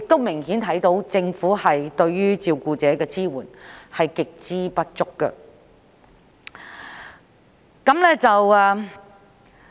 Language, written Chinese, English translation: Cantonese, 明顯地，政府對照顧者的支援極度不足。, Obviously the support provided by the Government to carers is extremely inadequate